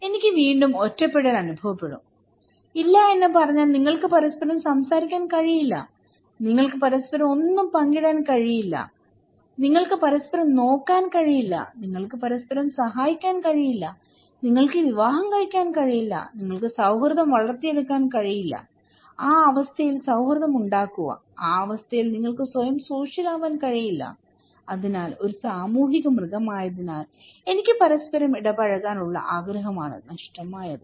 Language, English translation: Malayalam, I will again feel isolated, if I say no, you cannot talk to each other, you cannot share anything with each other, you cannot look at each other, you cannot help each other, you cannot marry, you cannot develop friendship; make friendship so, in that condition; in that conditions you cannot really make yourself social so, what is missing is that simply being a social animal, I want interactions with each other